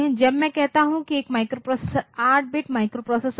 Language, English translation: Hindi, So, when I say a microprocessor is an 8 bit microprocessor